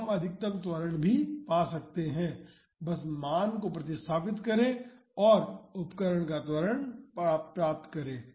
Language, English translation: Hindi, So, we can find the maximum acceleration as well just substitute the value and get the acceleration of the instrument